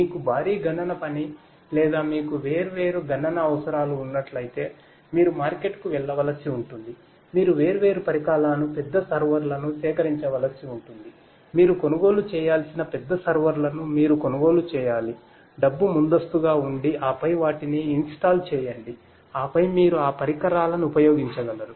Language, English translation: Telugu, That if you have a you know huge computational job or you know something where you have different computational requirements you would have to go to the market, you will have to procure the different equipments the big servers you will have to procure you have to buy them you have to pay money upfront and then install them and then you will be able to use those equipments